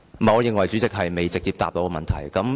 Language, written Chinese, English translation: Cantonese, 我認為局長未有直接回答我的問題。, I think the Secretary has not directly answered my question